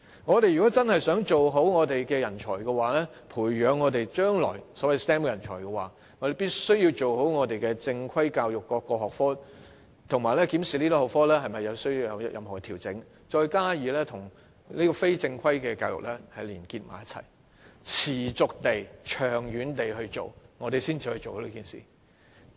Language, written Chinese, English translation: Cantonese, 我們想真正培養人才的話，即培養將來的所謂 STEM 人才，便必須先做好正規教育中各個學科的教育，以及檢視這些學科是否需作調整，再與非正規教育結合，持續地進行，才能做好這件事。, To truly nurture talent that is to nurture the so - called STEM talent we must first accomplish the proper instruction of various subjects in formal education and examine if these subjects require adjustments . Such efforts in combination with informal education must be persistently made before results can be achieved